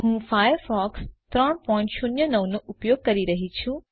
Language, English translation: Gujarati, I am using Firefox 3.09